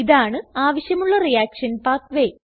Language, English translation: Malayalam, Reaction path is created